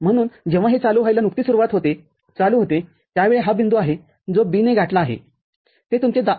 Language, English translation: Marathi, So, when it just begins to become on, at that time this is the point that B is reached, that is your 2